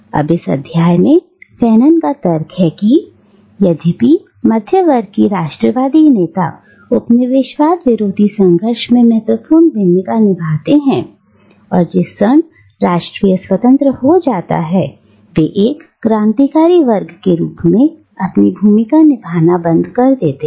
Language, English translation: Hindi, Now, in this text, Fanon argues that though the middle class nationalist leaders play a significant role in the anti colonial struggle, the moment the nation becomes independent, they cease to exercise their role as a revolutionary class